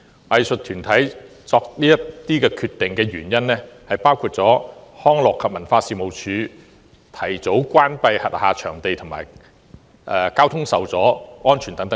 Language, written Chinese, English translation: Cantonese, 藝術團體作此等決定的原因包括康樂及文化事務署提早關閉轄下場地及交通受阻。, The reasons for the arts groups to make such decisions include early closure of venues under the Leisure and Cultural Services Department LCSD and traffic disruption